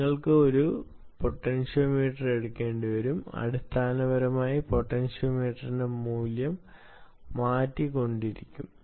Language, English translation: Malayalam, you will have to take a potentiometer and basically tune, keep changing the value of the potentiometer